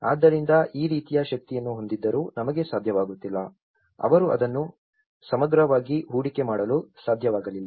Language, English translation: Kannada, So, despite of having this kind of energy, we are unable to, they were unable to invest that in holistically